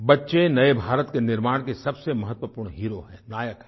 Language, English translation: Hindi, Children are the emerging heroes in the creation of new India